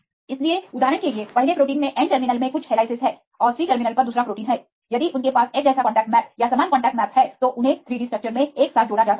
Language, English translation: Hindi, So, for example, there are some helices in the N terminal in the first protein, and the C terminal second protein if they have same contact map or similar contact map then they can be aligned together in 3 D structures